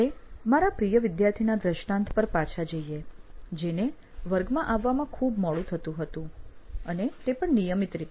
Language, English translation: Gujarati, So we go back to this illustration of my favourite student who used to come very late to class and very regularly at that